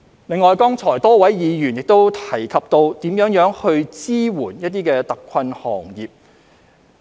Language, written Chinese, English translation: Cantonese, 另外，多位議員亦提及怎樣支援特困行業。, In addition many Members also mentioned how to support hard - hit industries